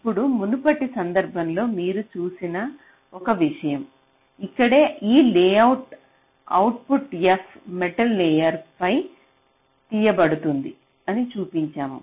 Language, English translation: Telugu, so now one thing: you just see, in our previous case, this layout here, we had shown that the output f was being taken out on a metal layer